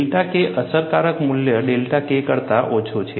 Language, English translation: Gujarati, The delta K effective value is less than delta K